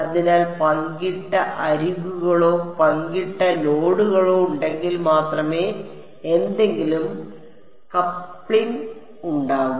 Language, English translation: Malayalam, So, only if there are shared edges or shared nodes is there any coupling